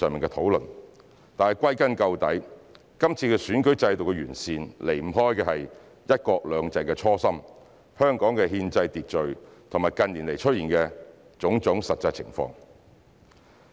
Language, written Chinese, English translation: Cantonese, 但歸根究底，這次選舉制度的完善離不開"一國兩制"的初心、香港的憲制秩序和近年出現的種種實際情況。, Yet the current improvement in the electoral system is essentially about our original aspiration in implementing one country two systems the constitutional order of Hong Kong and the actual circumstances in recent years